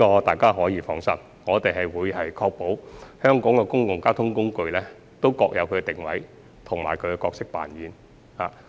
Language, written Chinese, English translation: Cantonese, 大家可以放心，我們會確保香港的公共交通工具各有定位及角色扮演。, Members may rest assured that we will seek to ensure the respective positioning and roles of various public transport modes in Hong Kong